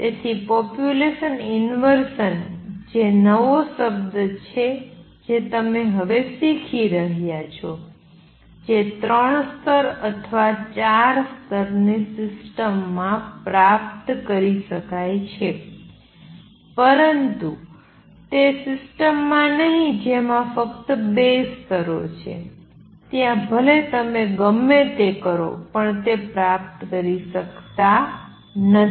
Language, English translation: Gujarati, So, population inversion which is a new word now you are learning is achievable in a three level or four level system, but not in a system that has only two levels there no matter what you do you cannot achieve that